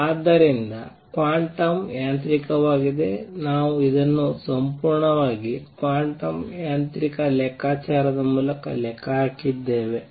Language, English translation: Kannada, So, quantum mechanically we have also calculated this through a purely quantum mechanical calculation